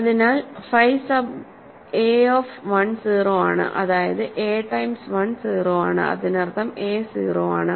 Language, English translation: Malayalam, So, phi sub a of 1 is 0; that means, a times 1 is 0; that means, a is 0